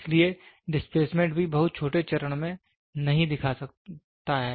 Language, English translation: Hindi, So, the displacement also cannot show in very small step